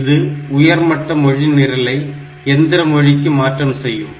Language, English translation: Tamil, So, compiler they translate a high level language program to machine language